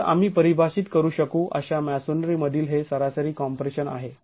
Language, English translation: Marathi, Okay, so this is the average compression in the masonry that we can define